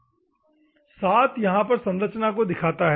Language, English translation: Hindi, 7 refers to the structure